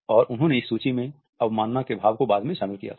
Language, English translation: Hindi, And he had incorporated the idea of contempt in this list later on